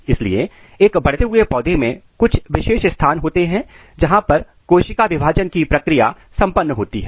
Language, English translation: Hindi, So, in a growing plants there are certain specified position where the process of cell division occurs